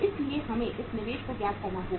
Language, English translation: Hindi, So we will have to work out this investment